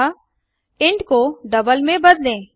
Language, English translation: Hindi, So replace intby double